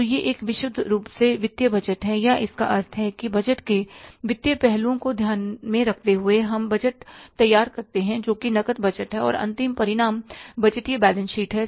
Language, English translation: Hindi, So, this is purely the financial budget or is taking into consideration the financial aspects of the budget and we prepare the budget that is the cash budget and end result is the last and final statement is the budgeted balance sheet